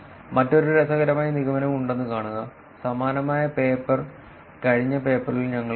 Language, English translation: Malayalam, See there is another interesting inference, similar graph we saw on the last paper also